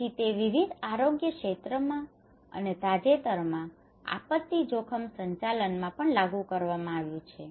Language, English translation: Gujarati, So it has been applied in various health sectors and also in recently in disaster risk management